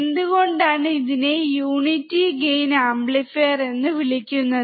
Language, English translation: Malayalam, Why it is also called a unity gain amplifier